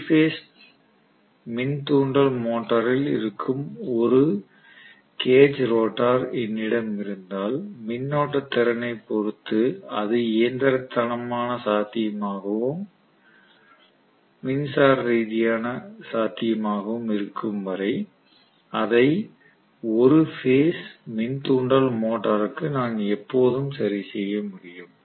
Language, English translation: Tamil, So if I have a cage rotor which is working in 3 phase induction motor I can always fix it for a single phase induction motor as long as it is mechanically feasible and electrically feasible in terms of the current capacity